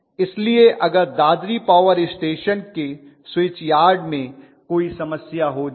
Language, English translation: Hindi, So in case there is a problem in the switch yard of Dadri power station